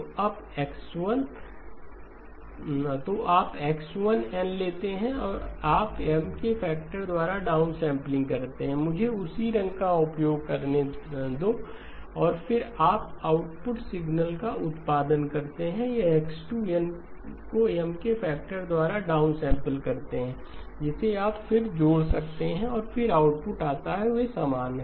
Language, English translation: Hindi, So you take X1 of N, you downsample let me use the same colour, downsample by a factor of M and then you produce output signal, this is X2 of N downsampled by a factor of M, which you can then add and then produce the output; they are identical